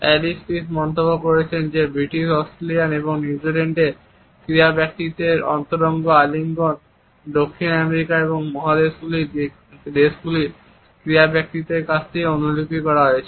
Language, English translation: Bengali, Allen Pease has commented that intimate embracing by British Australian and New Zealand sports person has been copied from the sports persons of South American and continental countries